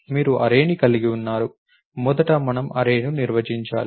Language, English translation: Telugu, We have an array of first we have to define array